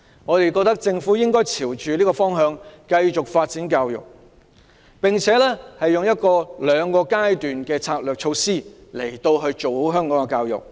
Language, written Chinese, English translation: Cantonese, 我們認為政府應朝着這個方向繼續發展教育，並以兩個階段策略實施，然後辦好香港的教育。, We hold that the Government should follow this direction to continue with the development of education and implement a two - phased strategy to improve education in Hong Kong